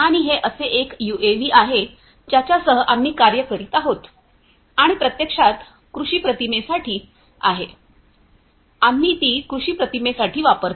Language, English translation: Marathi, And, this is one such UAV that we work with and this is actually for agro imagery we use it for agro imagery